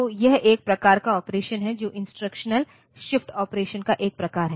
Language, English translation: Hindi, So, that is one type of application of the shift instructional shifts type of operation